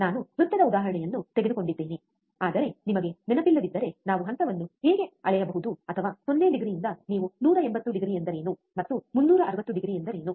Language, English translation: Kannada, I have taken the example of a circle, but if you do not remember let me just quickly tell you how we can measure the phase, or what do you mean by 0 degree what you mean by 180 degree, and what you mean by 360 degree